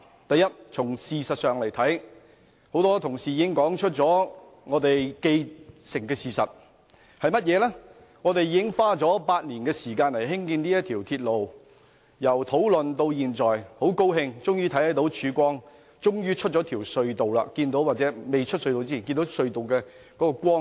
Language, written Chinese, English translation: Cantonese, 第一，從事實來看，多位同事已說出既定事實，就是我們已花了8年時間興建這條鐵路，討論至今，大家很高興終於看到曙光和走出隧道，即使未走出隧道，也看到隧道盡頭的光明。, First in fact numerous Members have pointed out that we have spent eight years building the rail . After all the discussions everyone is glad to see the light at the end of the tunnel and the chance that we can finally come out of it . Even if we cannot leave the tunnel yet the end is in sight